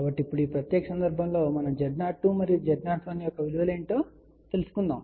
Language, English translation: Telugu, So, for this particular case now, we want to find out what are the values of Z O 2 and Z O 1